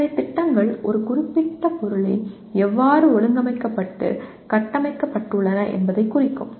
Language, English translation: Tamil, So schemas represent how a particular subject matter is organized and structured